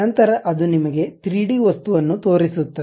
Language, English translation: Kannada, Then it shows you a 3 dimensional object